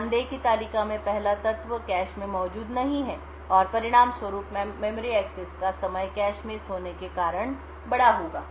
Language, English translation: Hindi, Notice that the first element in the table is not present in the cache and as a result the memory access time would be large due to the cache misses